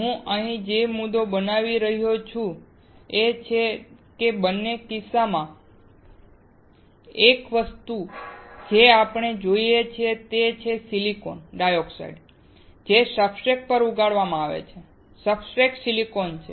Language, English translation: Gujarati, The point that I am making here is that in both the cases, one thing that we have seen is the silicon dioxide, which is grown on the substrate; the substrate being silicon